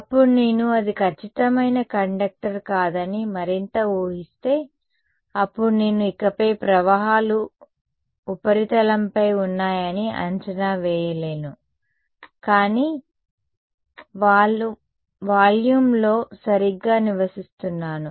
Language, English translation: Telugu, Then if I made the further assumption that it is not a perfect conductor, then I can no longer make the approximation that the currents are on the surface, but there living in the volume right